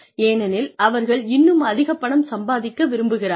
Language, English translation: Tamil, Because, they want to make, even more money